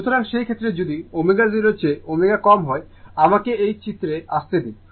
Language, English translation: Bengali, So, in that case if omega less than omega 0, let me come to this diagram